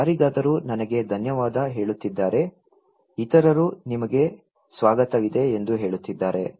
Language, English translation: Kannada, If someone is telling me thank you, other people are saying that okay you were welcome